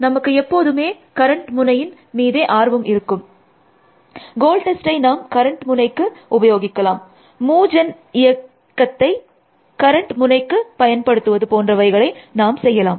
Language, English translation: Tamil, So, we will always be interested in the current node, we will apply the goal test to current node, will apply the move gen function to current node and so on essentially